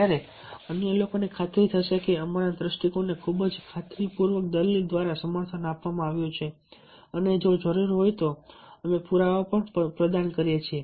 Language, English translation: Gujarati, only our point of view is supported by very convincing argument and if necessary, we can provide the evidences